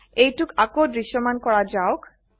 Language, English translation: Assamese, Lets make it visible again